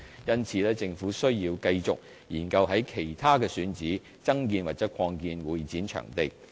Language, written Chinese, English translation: Cantonese, 因此，政府需要繼續研究於其他選址增建或擴建會展場地。, Hence the Government has to continue to explore other sites for constructing or expanding CE facilities